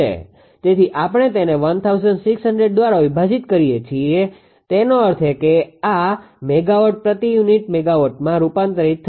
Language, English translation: Gujarati, So, we are dividing it by 1600; that means, this megawatt will be converted to power unit megawatt